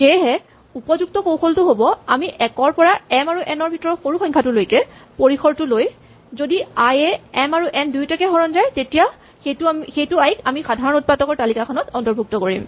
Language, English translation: Assamese, So our better strategy is for each i in the range 1 to the minimum of m, and n if i divides both m and n then we add i to the list of common factors